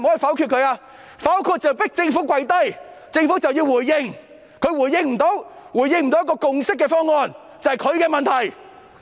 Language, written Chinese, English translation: Cantonese, 否決便是要迫政府"跪低"，屆時政府便要回應，如果政府不能提出一個達致共識的方案，那是政府的問題。, We veto the Budget to force the Government to kneel down . Then the Government will have to respond . If the Government fails to offer a proposal which can bring about a consensus this is the problem of the Government